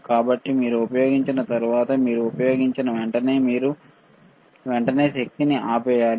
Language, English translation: Telugu, So, after you use it, right after you use it ok, you should immediately switch off the power